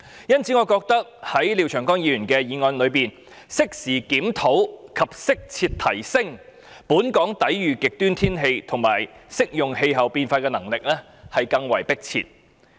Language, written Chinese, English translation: Cantonese, 因此，我覺得在廖長江議員的議案中，加入適時檢討及適切提升本港抵禦極端天氣和應對氣候變化的能力，更為迫切。, Therefore I agree that it is pressing to include in Mr Martin LIAOs motion the element of reviewing at an appropriate time and enhancing as appropriate Hong Kongs capabilities to withstand extreme weather and respond to climate change